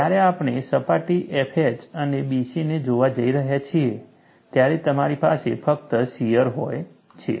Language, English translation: Gujarati, When we are going to look at the surface F H and B C, you are having only shear